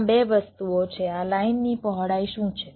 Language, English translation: Gujarati, there are two things: what is the width of this lines